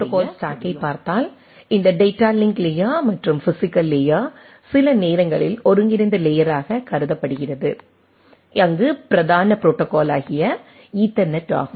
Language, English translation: Tamil, So, if we look at the protocol stack, so this data link layer and physical layer sometimes considered as a combined layer, where the predominant protocol is the Ethernet